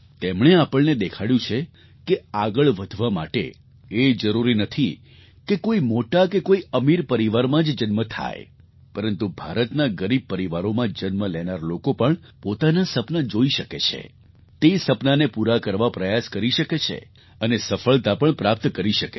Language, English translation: Gujarati, He showed us that to succeed it is not necessary for the person to be born in an illustrious or rich family, but even those who are born to poor families in India can also dare to dream their dreams and realize those dreams by achieving success